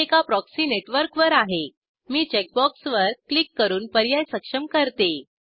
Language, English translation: Marathi, Since i am on a proxy network, i will enable the option by clicking on the checkbox I will enter the proxy address